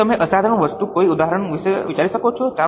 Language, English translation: Gujarati, Can you think of any example of exceptional item